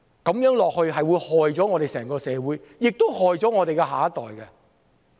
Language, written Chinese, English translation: Cantonese, 這樣下去，只會連累整個社會，亦連累下一代。, If this continues it will only affect the whole community and the next generation